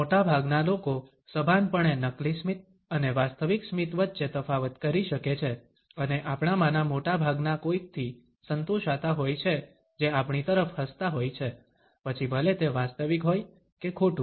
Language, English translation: Gujarati, Most people can consciously differentiate between a fake smile and a real one, and most of us are content to someone is simply smiling at us, regardless of whether its real or false